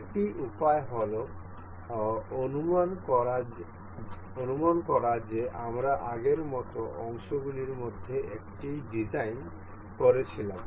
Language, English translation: Bengali, Another way like suppose we were designing the one of the parts, like we have done earlier